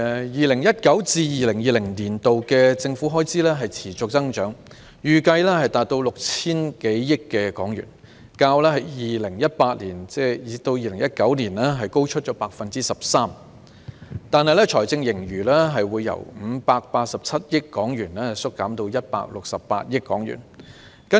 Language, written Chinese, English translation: Cantonese, 2019-2020 年度的政府開支持續增長，預計達到 6,000 多億元，較 2018-2019 年度高出 13%， 但財政盈餘由587億元縮減至168億元。, There will be a continuous increase in government expenditure in 2019 - 2020 and it is expected to exceed 600 billion 13 % more than that in 2018 - 2019 but the fiscal surplus has been reduced from 58.7 billion to 16.8 billion